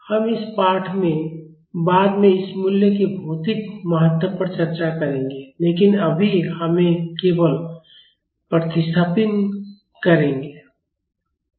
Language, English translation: Hindi, We will discuss the physical importance of this value later in this lesson, but as of now we will just make the substitution